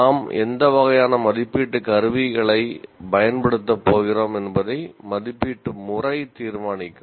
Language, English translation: Tamil, And then assessment pattern will determine what kind of assessment instruments that we are going to use